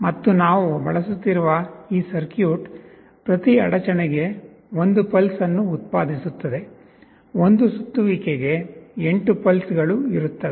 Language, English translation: Kannada, And this circuit that we will be using will be generating one pulse for every interruption; for one revolution there will be 8 pulses